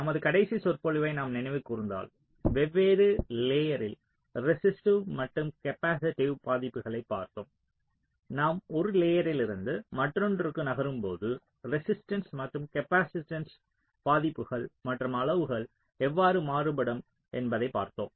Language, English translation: Tamil, so in our last lecture, if you recall, we looked at some of the resistive and capacitive affects on the different layers and, as we move from one layer to the other, how the values and magnitudes of the resistance and capacitances can vary